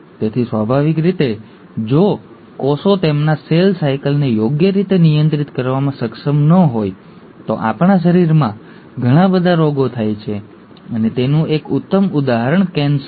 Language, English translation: Gujarati, So naturally, if the cells are not able to regulate their cell cycle properly, we will have a lot of diseases happening in our body and one classic example is ‘cancer’